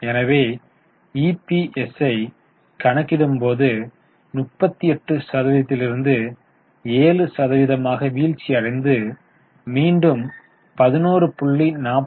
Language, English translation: Tamil, So, here you can see there was a fall in EPS from 38 to 7 and then it has increased now to 11